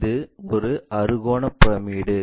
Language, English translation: Tamil, It is a hexagonal pyramid